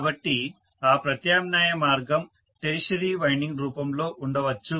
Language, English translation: Telugu, So the alternate path can come in the form of tertiary winding